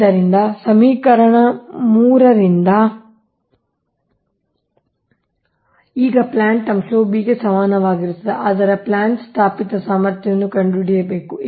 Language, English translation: Kannada, so from equation three, now plant factor is equal to this part b, but b we have to find out installed capacity of plant